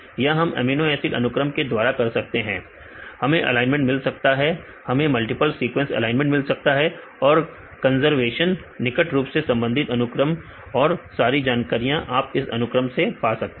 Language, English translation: Hindi, Then see we can do this from amino acid sequences, we can get the alignment, we can get the multiple sequence alignment and the conservation, closed related sequences all the information you get from this sequence